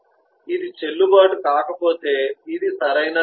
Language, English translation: Telugu, if the leave is is not valid, then this is not right